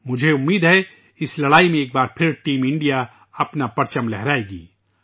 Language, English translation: Urdu, I hope that once again Team India will keep the flag flying high in this fight